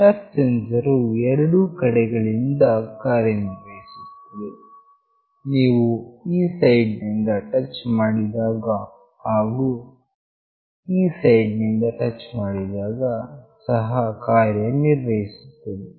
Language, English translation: Kannada, The touch sensor works from both sides, if you touch from this side as well if you touch from this side